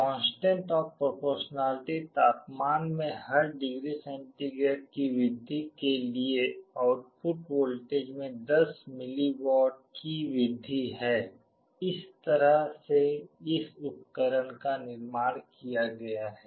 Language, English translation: Hindi, The constant of proportionality is such that there will be an increase in 10 millivolts in the output voltage for every degree centigrade rise in the temperature, this is how this device has been built